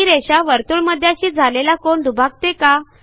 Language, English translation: Marathi, Does the line segment bisect the angle at the centre